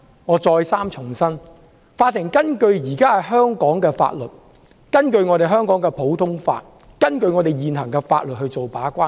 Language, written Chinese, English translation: Cantonese, 我再三重申，在香港的普通法制度下，法庭根據香港現行法律把關。, I have reiterated that under the common law system of Hong Kong courts serve as gatekeepers pursuant to existing laws of Hong Kong